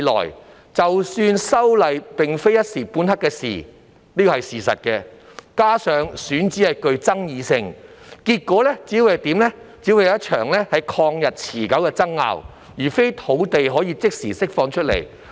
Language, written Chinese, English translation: Cantonese, 事實上，修例已非一時半刻之事，加上選址具爭議性，結果只會是一場曠日持久的爭拗，而非可以即時釋放土地。, As a matter of fact legislative amendment cannot be made within a very short time . This coupled with the controversy over the selected site will only end up in a protracted dispute instead of an immediate release of land